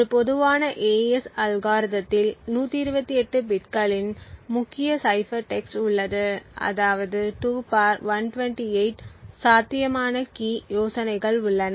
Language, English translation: Tamil, What is kept secret is this key, now a typical AES algorithm has a key cipher of 128 bits which means that there are 2 ^ 128 possible key ideas